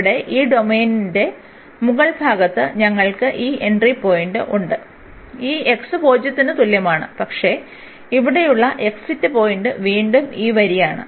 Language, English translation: Malayalam, And in the upper part of this domain here, we have the entry point this x is equal to 0 the same, but the exit point here is again this line